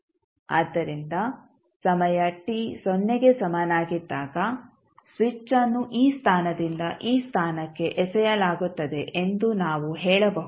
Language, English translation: Kannada, So, we can say that when time t is equal to 0 the switch is thrown from this position to this position